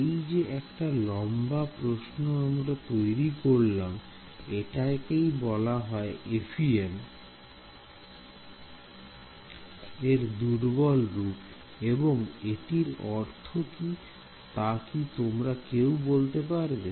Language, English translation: Bengali, Now this longest looking question that we have written over here this is what is called the weak form of FEM why is it called the weak form any guesses what is weak about it